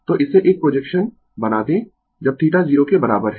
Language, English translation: Hindi, So, make it a projection when theta is equal to 0